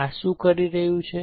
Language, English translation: Gujarati, What this is doing